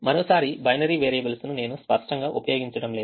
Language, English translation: Telugu, once again, i am not using binary variables explicitly